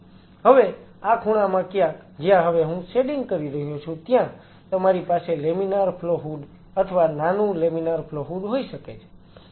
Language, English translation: Gujarati, Somewhere in this corner, where I am shading now you could have a laminar flow hood or small laminar flow hood